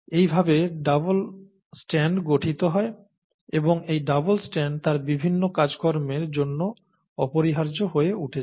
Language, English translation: Bengali, So this is how the double strand is getting formed here and this double strand becomes essential for its various functions